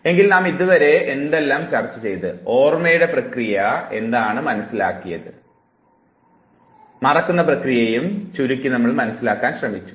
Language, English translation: Malayalam, So, what have we discussed till now, we have tried to understand the process of memory, we have try to succinctly now understand the process of forgetting